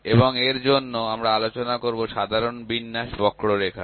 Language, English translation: Bengali, And for that we will discuss normal distribution curve